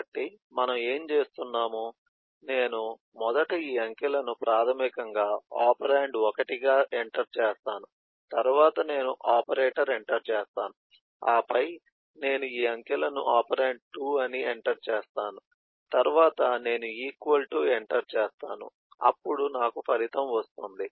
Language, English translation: Telugu, so what we do I would first enter these digits, which is basically operand 1then I enter the operator, then I enter these digits, which is operand 2then I enter equal to, then I enter sum, then I can again enter another operator, enter a eh operand, get the result, and so on